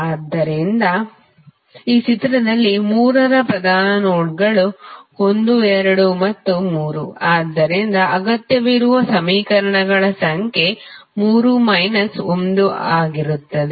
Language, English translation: Kannada, So, in this figure the principal nodes for 3; 1, 2 and 3, so number of equations required would be 3 minus 1